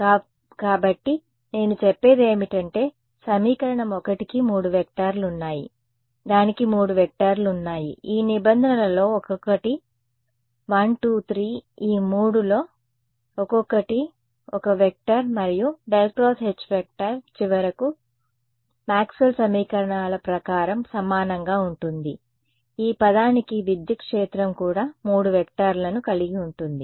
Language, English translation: Telugu, So, what am I saying I am saying that equation 1 has 3 vectors right it has 3 vectors each of these terms is 1 2 3 each of these 3 is a 1 vector right the and curl of H finally, by Maxwell’s equations is is going to be equal to this term the electric field also has 3 vectors